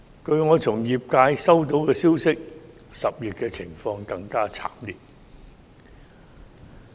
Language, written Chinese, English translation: Cantonese, 據我從業界收到的消息 ，10 月的情況會更加慘烈。, According to the information I received from the industry the situation in October will be even more tragic